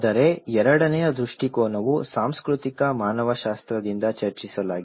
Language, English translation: Kannada, But the second perspective is discusses from the cultural anthropology